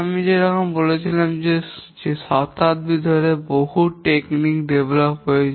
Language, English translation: Bengali, As I was saying that over the century many techniques have got developed